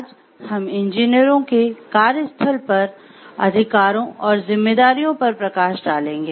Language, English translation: Hindi, Today we will be looking into the workplace rights of the engineers and the workplace responsibilities of engineers